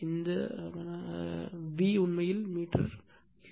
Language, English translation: Tamil, This V is actually meter cube volume right